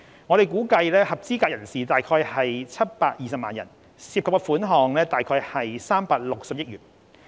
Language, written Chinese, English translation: Cantonese, 我們估計合資格人士約有720萬人，涉及款項約360億元。, It is estimated that there are around 7.2 million eligible persons involving a financial commitment of about 36 billion